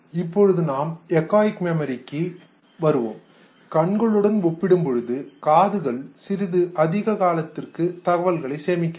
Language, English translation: Tamil, Remember when we will come to the echoic memory we would realize that ears are able to store information for a little longer period of time compared to I's